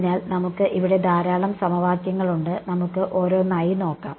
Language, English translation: Malayalam, So, let us there is a lot of equations here let us just go one by one